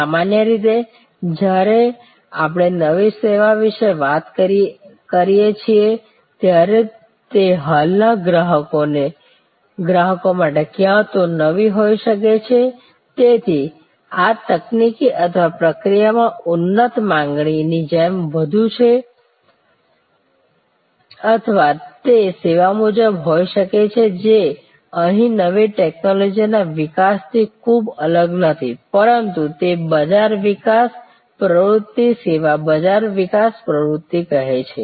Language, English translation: Gujarati, Normally, when we talk about new service it can therefore, either be new to the existing customers, so this is the more like a technological or process enhanced offering or it can be service wise not very different not much of new technology development here, but it say market development activity service market development activity